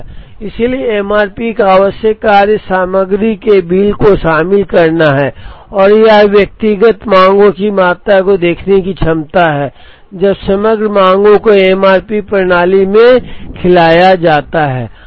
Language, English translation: Hindi, So, the essential function of the MRP is to incorporate the bill of material and it is ability to look at quantities of individual demands when the aggregate demands are fed into the MRP system